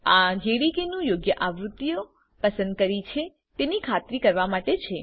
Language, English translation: Gujarati, This is to make sure if the correct version of the JDK has been chosen